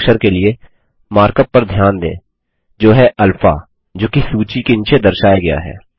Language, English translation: Hindi, Notice the mark up for the Greek letter as alpha which is displayed below the list